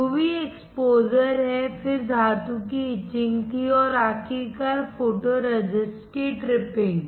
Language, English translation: Hindi, There is UV exposure, then there was etching of metal and finally, tripping of photoresist